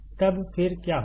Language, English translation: Hindi, Then, what will happen